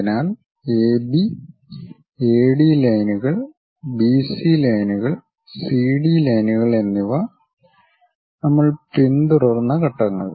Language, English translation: Malayalam, So, the steps what we have followed AB, AD lines then BC lines and then CD lines we construct it